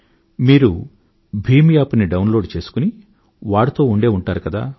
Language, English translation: Telugu, You must be downloading the BHIM App and using it